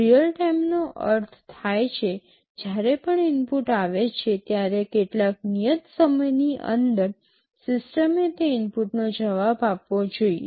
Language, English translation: Gujarati, Real time means, whenever an input comes, within some specified time the system should respond to that input